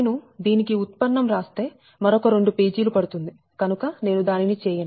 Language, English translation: Telugu, if i write the derivative it will take another few pages for through another two pages